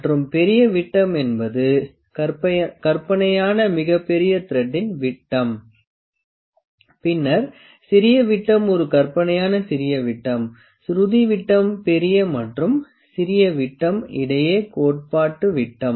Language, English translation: Tamil, And major dia is an imaginary largest dia of the thread, then the minor dia is an imaginary smallest dia, pitch dia is theoretical dia between the major and minor dia diameters